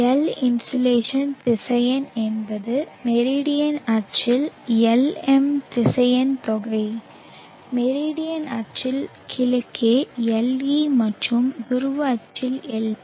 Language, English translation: Tamil, And L the insulation vector is the vectorial sum of Lm along the meridional axis, Le along the east of the meridian axis plus Lp along the polar axis